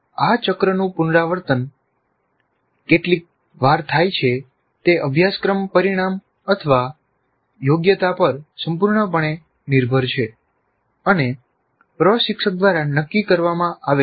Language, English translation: Gujarati, The number of times this cycle is repeated is totally dependent on the course outcome or the competency and is decided by the instructor